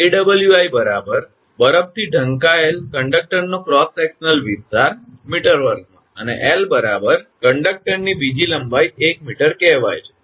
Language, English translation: Gujarati, Awi is equal to cross sectional area of conductor covered with ice in square meter right and l is equal to second length of conductor say 1 meter